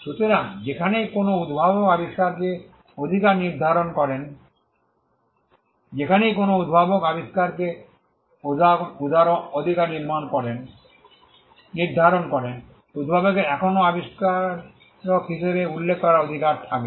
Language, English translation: Bengali, So, wherever an inventor assigns the right in an invention, wherever an inventor assigns the right in an invention, the inventor will still have the right to be mentioned as the inventor